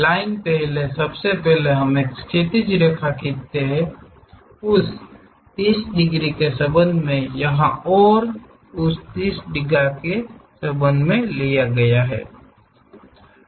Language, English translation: Hindi, So, from A B we draw a horizontal line first, first of all we we draw a horizontal line, with respect to that 30 degrees here and with respect to that 30 degrees